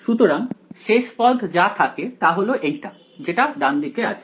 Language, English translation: Bengali, So, the final term that remains is this term on the right hand side ok